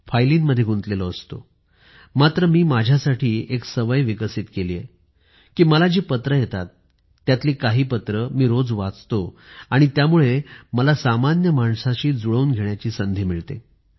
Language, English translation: Marathi, I have to remain deeply absorbed in files, but for my own self, I have developed a habit of reading daily, at least a few of the letters I receive and because of that I get a chance to connect with the common man